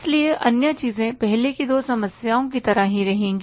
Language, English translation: Hindi, So, other things will remain the same as like the previous two problems